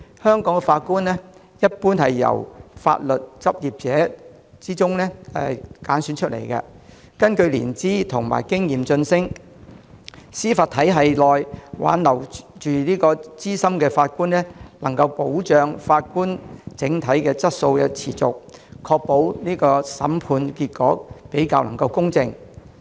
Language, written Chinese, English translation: Cantonese, 香港法官一般是從法律執業者中挑選，根據年資和經驗晉升，在司法體系內挽留資深法官，能夠保障法官整體質素得以持續，確保審判結果比較公正。, Judges in Hong Kong are generally selected from legal practitioners and promoted according to seniority and experience . Retaining senior judges in the judicial system can ensure that the overall quality of judges can be sustained and that the trial results are fairer